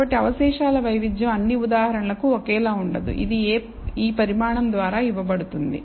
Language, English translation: Telugu, So, the variance of the residual will not be identical for all examples, it is given by this quantity